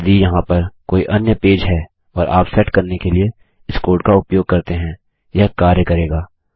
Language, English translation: Hindi, If this is any other page over here and you use this code to set, it will work